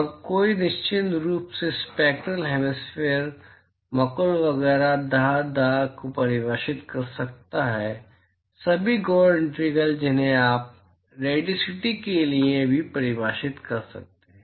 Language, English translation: Hindi, And one could certainly define the spectral hemispherical total etcetera dah dah dah all the gory integrals you can define for radiosity as well